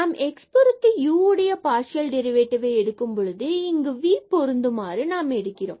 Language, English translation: Tamil, So, here when we take the partial derivative of this with respect to x so, what we will get here we have to differentiate